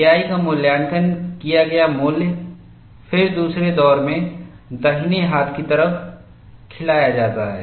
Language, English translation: Hindi, Evaluated value of K 1 is then fed on the right hand side in the second round